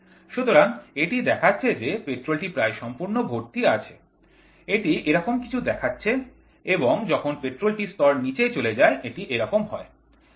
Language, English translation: Bengali, So, it showed like almost if the petrol is filled, it showed something like this and as and when the petrol level goes to down, it goes like this